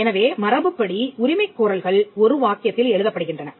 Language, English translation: Tamil, So, by convention claims are written in one sentence